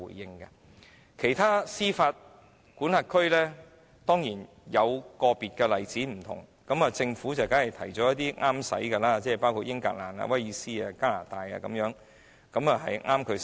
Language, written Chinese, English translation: Cantonese, 至於其他司法管轄區，當然有個別例子有所不同，而政府當然提出一些切合自己的國家作為例子，包括英格蘭、威爾斯、加拿大等。, As for other jurisdictions there are bound to be some individual cases which show a different practice and the Government will certainly cite those countries which suit it best as examples such as England Wales and Canada